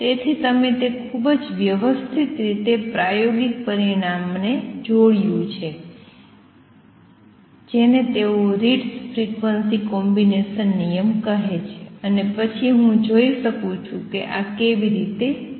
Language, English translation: Gujarati, So, you done it very very systematic manner combining an experimental result call they Ritz frequency combination rule, and then really seeing how I could combine this